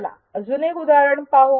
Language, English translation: Marathi, Let us see one more example